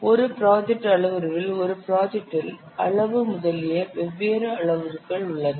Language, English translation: Tamil, In a project parameter, in a project there are different parameters such as size, etc